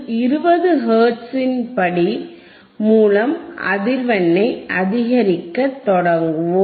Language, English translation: Tamil, We will start increasing the frequency with the step of 20 hertz